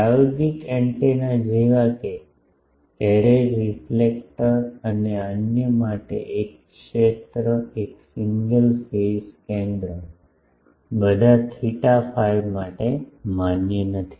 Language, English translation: Gujarati, For practical antennas such as array reflector and others a field single a single phase center valid for all theta and phi does not exist